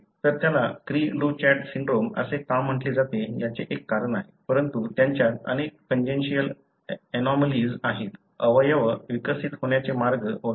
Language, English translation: Marathi, So, that is one of the reasons why it is called as cri du chat syndrome, but they have many congenital anomalies, the way the organs are developed and so on